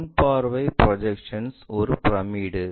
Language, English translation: Tamil, Different view projection is a pyramid